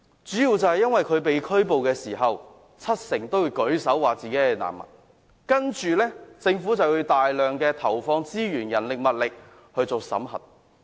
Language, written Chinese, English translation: Cantonese, 主要是當他們被拘捕時，七成會說自己是難民，政府於是要投放大量資源進行審核。, This is mainly because when they are arrested 70 % of them will claim themselves to be refugees prompting the Government to deploy a large amount of resources to verify their claims